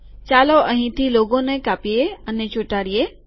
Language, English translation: Gujarati, Lets cut and paste logo from here